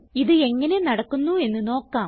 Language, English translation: Malayalam, Let us see how it is implemented